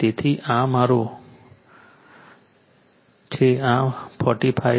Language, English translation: Gujarati, So, this is my we will got 45